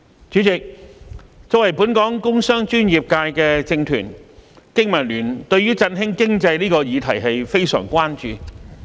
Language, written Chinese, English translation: Cantonese, 主席，作為本港工商專業界的政團，經民聯對於振興經濟這個議題非常關注。, President as a political group with members from the business and professional sectors BPA is very much concerned about boosting the economy